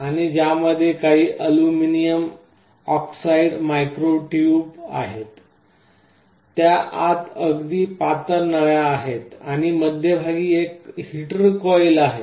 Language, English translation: Marathi, And there are some aluminum oxide micro tubes, very thin tubes inside it, and there is a heater coil in the middle